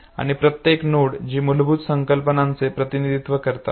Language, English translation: Marathi, And each of the node that represent the basic concepts